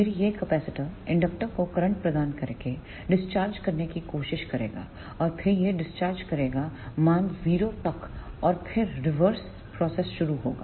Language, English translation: Hindi, Then this capacitor will try to discharge by providing current to this inductor and then it will discharge up to the value 0 and then the reverse process will start